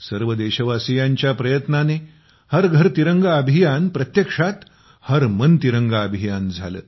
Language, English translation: Marathi, The efforts of all the countrymen turned the 'Har Ghar Tiranga Abhiyan' into a 'Har Man Tiranga Abhiyan'